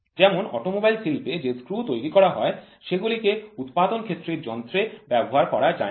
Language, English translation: Bengali, For example, what is produced in the industry of automobile they cannot use the same screw which is used for machine tool manufacturer